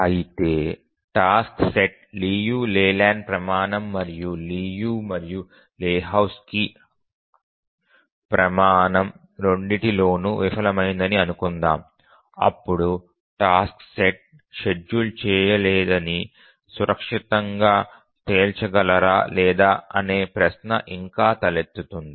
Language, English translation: Telugu, But just asking this question that suppose a task set fails the Liu Leyland's criterion and also the Liu and Lehochki's criterion, then can we safely conclude that the task set is unschedulable or is there a chance that the task set is still schedulable